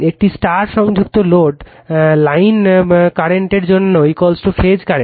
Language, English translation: Bengali, For a star connected load line current is equal to phase current